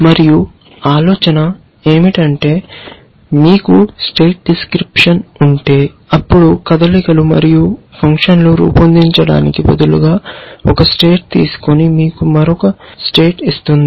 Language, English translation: Telugu, And the idea is that if you have a state description, then instead of devising a moves and function which gives takes one state and gives you another state